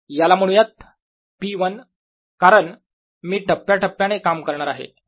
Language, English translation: Marathi, lets call this p one, because i am going to go step by step